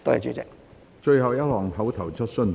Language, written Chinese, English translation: Cantonese, 最後一項口頭質詢。, Last question seeking an oral rely